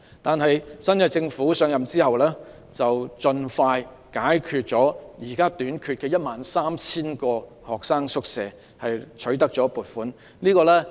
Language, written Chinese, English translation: Cantonese, 但是，現屆政府上任後，盡快取得了撥款並解決了現時短缺的 13,000 個學生宿位問題。, This Government however quickly obtained the funding after it assumed office and filled the shortfall of 13 000 quarter places